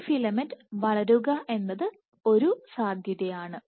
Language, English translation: Malayalam, So, this filament can grow this is one possibility